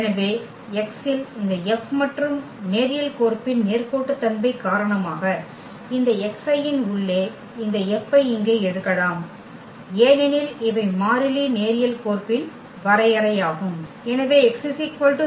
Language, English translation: Tamil, So, this F on x and due to the linearity of the map we can take this F here inside this x i’s because these are the constant that is the definition of the linear map